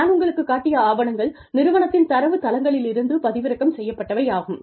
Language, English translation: Tamil, The papers, that I just showed you are, have been downloaded from databases, that we have, through the institute